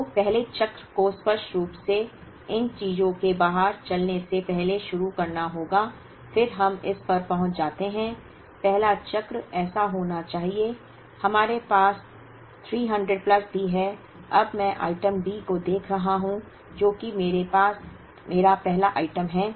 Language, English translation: Hindi, So, the first cycle obviously, has to begin before these things run out of items, then we get into this, the first cycle should be such that, we also have three hundred plus, now I am looking at item D which is my first item